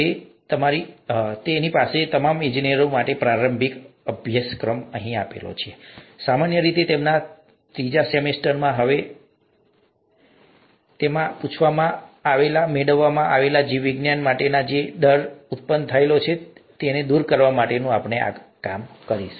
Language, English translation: Gujarati, So, we have an introductory course here for all engineers, typically in their third semester, now I think it's in slightly later semesters, where we work on getting them, asking, making them getting over the fear for biology